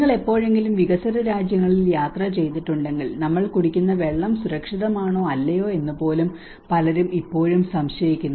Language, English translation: Malayalam, Like if you ever travelled in the developing countries many people even still doubt whether the water we are drinking is safe or not